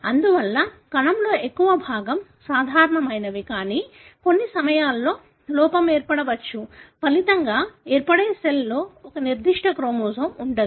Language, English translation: Telugu, Therefore, majority of the cell are normal, but at times the error could be such that one of the resulting cell would not have a particular chromosome